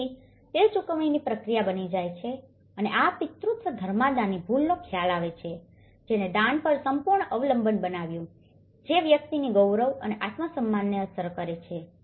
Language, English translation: Gujarati, So, it becomes a paid process and this paternalism reveals a mistaken concept of charity, which has created an absolute dependence on donations, affecting the population’s dignity and self esteem